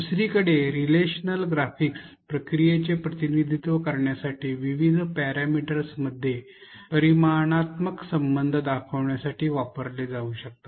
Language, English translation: Marathi, Relational graphics on the other hand can be used to convey quantitative relationship among different parameters this can be used to represent processes